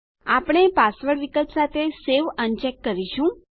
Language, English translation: Gujarati, We un check the Save with password option